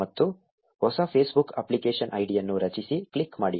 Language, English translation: Kannada, And click create new Facebook App ID